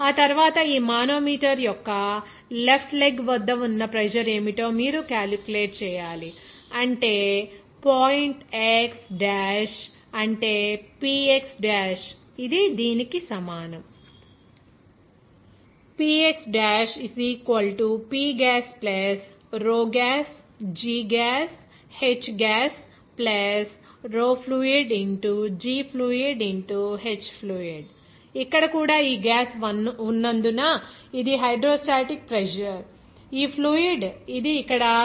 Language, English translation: Telugu, After that, you have to calculate what should be the pressure at that left leg of this manometer, that is at point x dash that is Px dash, it will be equal to here this is also hydrostatic pressure because of this gas present here and also fluid like this here, this fluid, this is 0